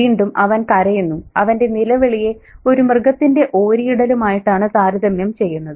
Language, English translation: Malayalam, And again, he cries, and that cry is associated with animal howling